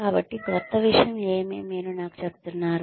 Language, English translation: Telugu, So, what is the new thing that, you are telling me